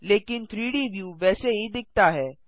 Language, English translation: Hindi, But the 3D view looks the same